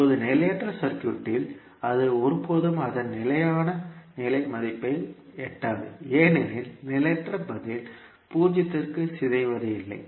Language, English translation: Tamil, Now in unstable circuit it will never reach to its steady state value because the transient response does not decay to zero